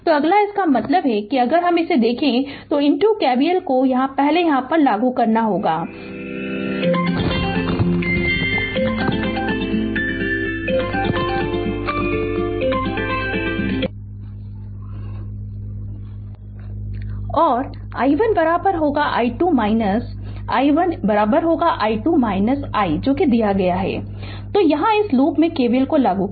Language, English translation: Hindi, So, next that means if you look into this you apply KVL here first in you apply that is whatever given the i 1 is equal to i and i 1 is equal to i 2 minus i 1 is equal to i 2 minus i, so here you apply KVL in this loop right